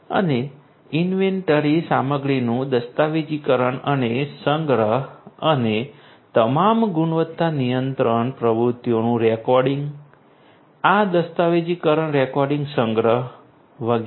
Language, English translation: Gujarati, And documenting and archiving inventory material and recording all the quality control activities, this documentation recording archiving and so on